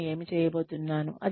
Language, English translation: Telugu, What am I going to do